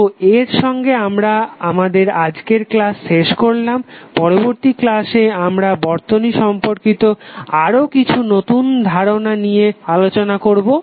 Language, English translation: Bengali, So with this we close our today’s session in the next session we will discuss few other exciting concepts of the circuit